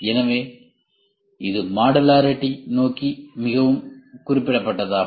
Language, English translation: Tamil, So, this is more specific towards modularity